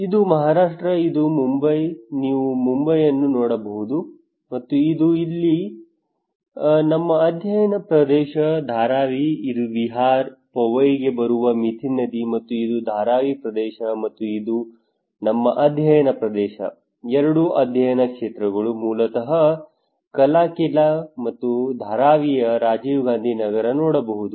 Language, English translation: Kannada, This is Maharashtra, and this is Mumbai you can see Mumbai and then here is our study area Dharavi this is Mithi river coming for Vihar, Powai and this is Dharavi area and this is our study area, two study areas basically Kalaquila and Rajiv Gandhi Nagar in Dharavi